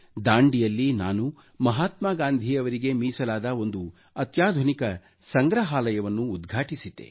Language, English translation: Kannada, There I'd inaugurated a state of the art museum dedicated to Mahatma Gandhi